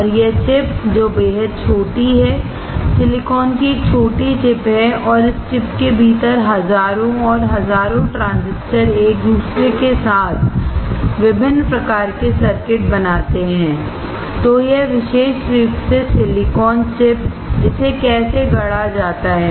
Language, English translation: Hindi, And this chip which is extremely small, is a small chip of silicone and within this chip there are thousands and thousands of transistors integrated with each other to form different kind of circuits; so, this particular silicone chip; how it is fabricated